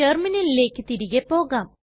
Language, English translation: Malayalam, Let us switch back to the terminal